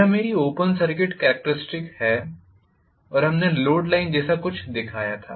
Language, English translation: Hindi, This is what is my open circuit characteristics and we also showed something called a load line, right